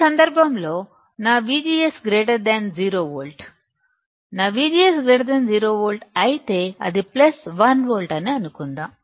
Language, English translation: Telugu, That is in this case my V G S is greater than 0 volt, V G S is greater than 0 volt; If my V G S is greater than 0 volt, let us assume it is plus 1 volt